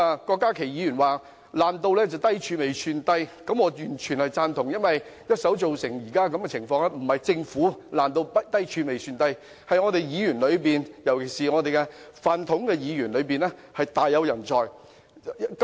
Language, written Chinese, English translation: Cantonese, 郭家麒議員說"爛到低處未算低"，我完全贊同，因為一手造成現在這種情況，不是政府"爛到低處未算低"，而是議員當中，"飯桶"議員大有人在。, Dr KWOK Ka - ki said that the situation has turned from bad to worse and the worst is yet to come I entirely agree . However this situation is not caused by the Government but by many useless Members